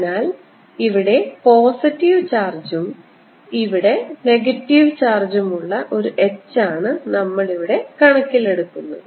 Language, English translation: Malayalam, so h is going to be like we are giving rise to an h which is with positive charge here and negative charge here